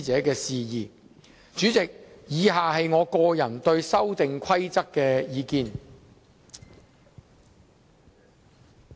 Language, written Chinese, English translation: Cantonese, 代理主席，以下是我個人對《修訂規則》的意見。, Deputy President below is my personal opinion on the Amendment Rules